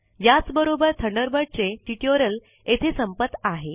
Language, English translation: Marathi, This brings us to the end of this tutorial on Thunderbird